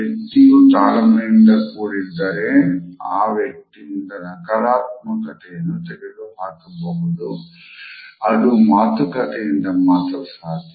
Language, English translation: Kannada, And if the other person is patient, we feel that the negativity can be taken away in this position through dialogue